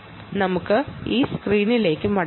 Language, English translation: Malayalam, go back to the screen here